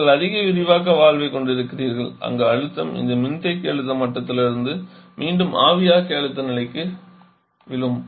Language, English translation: Tamil, The stream is higher concentration than you have higher expansion valve where the pressure again falls from this condensor pressure level back to the evaporator pressure level